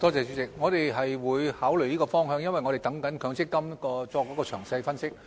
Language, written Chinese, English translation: Cantonese, 主席，我們是會考慮這個方向的，因為我們正等待積金局作詳細分析。, President we will consider this direction and we are still waiting for the detailed analysis from MPFA